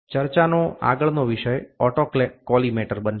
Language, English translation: Gujarati, The next topic of discussion is going to be autocollimator